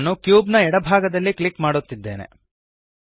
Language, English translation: Kannada, I am clicking to the left side of the cube